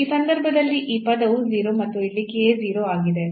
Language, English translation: Kannada, So, in that case this term is 0 and here the k is 0